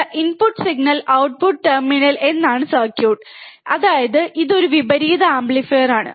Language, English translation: Malayalam, The circuit is that the input signal, the input signal is given to inverting terminal right; that means, it is an inverting amplifier